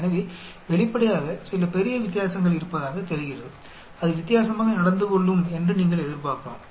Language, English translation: Tamil, So obviously, there seems to be some large difference, you may expect it to be behaving differently